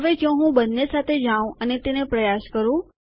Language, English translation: Gujarati, Now if I go with both of them and try it out